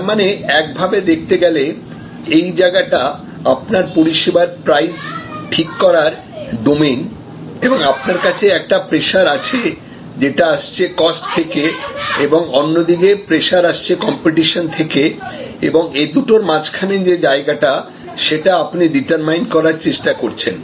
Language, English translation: Bengali, So, in some way one can see that as if, this is your main domain of service price setting and you have one kind of pressure coming from your cost and another kind of pressure coming from your competition and between the two is the arena, where you actually try to determine